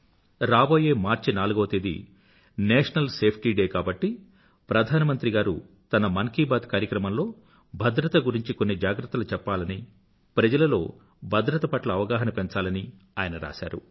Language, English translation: Telugu, Since the 4th of March is National Safety Day, the Prime Minister should include safety in the Mann Ki Baat programme in order to raise awareness on safety